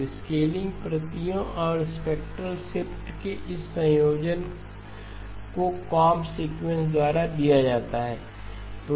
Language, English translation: Hindi, So this combination of scaling copies and spectrally shifted is by the comb sequence